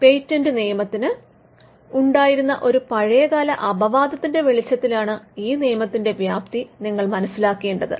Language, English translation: Malayalam, You should understand this scope of this act in the light of an age old exception that was there in patent laws